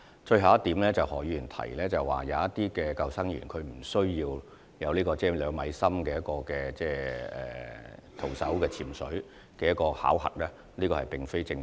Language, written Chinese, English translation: Cantonese, 最後，何議員提到有部分救生員無須達到徒手潛水至2米水深處的考核要求，這點並不正確。, Finally regarding Mr HOs remarks that some of the lifeguards are not required to pass the two - metre deep diving test this is incorrect